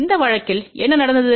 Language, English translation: Tamil, In this case what happened